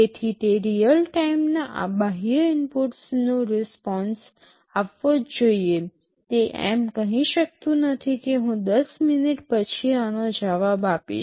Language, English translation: Gujarati, So, it must respond to these external inputs in real time, it cannot say that well I shall respond to this after 10 minutes